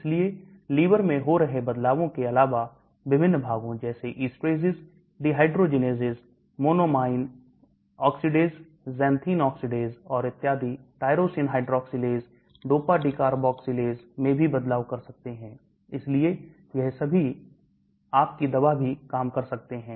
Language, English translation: Hindi, So in addition to changes that are happening in liver, we can also have changes in different parts like esterases, dehydrogenases, monoamine oxidase, xanthene oxidase and so on, tyrosine hydroxylase, dopa decarboxylase, so all these can also act on your drug and modify its structure